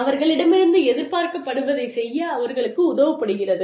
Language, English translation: Tamil, They are helped to do, whatever is expected of them